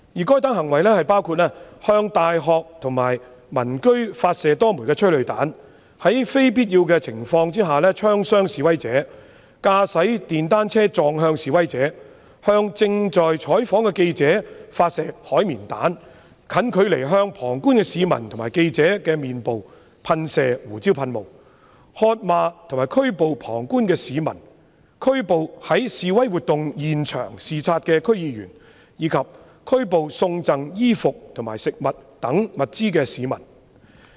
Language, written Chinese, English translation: Cantonese, 該等行為包括：向大學及民居發射多枚催淚彈、在非必要情況下槍傷示威者、駕駛電單車撞向示威者、向正在採訪的記者發射海綿彈、近距離向旁觀市民和記者的臉部噴射胡椒噴霧、喝罵和拘捕旁觀市民、拘捕在示威活動現場視察的區議員，以及拘捕送贈衣服和食物等物資的市民。, Such acts include firing a number of tear gas rounds at universities and residential areas shooting and injuring demonstrators under unwarranted situations running a motor cycle into demonstrators firing sponge rounds at journalists who were performing news covering work spraying pepper sprays at the face of bystanders and journalists at close range cursing and arresting bystanders arresting District Council members who were at the scenes of demonstrations observing the situation and arresting members of the public who donated supplies such as clothes and food